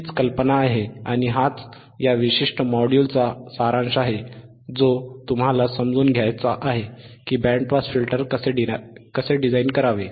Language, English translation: Marathi, tThat is the idea, that is the gist of this particular module that you have to understand, that the how to design a band pass filter